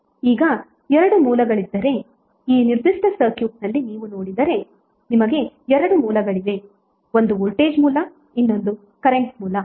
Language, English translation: Kannada, Now if there are 2 sources voltage sources if you see in this particular circuit you have 2 sources one is voltage source other is current source